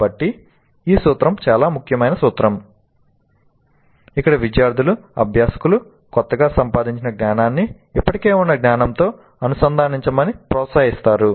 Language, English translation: Telugu, So this principle is a very important principle where the students, the learners are encouraged to integrate their newly acquired knowledge with the existing knowledge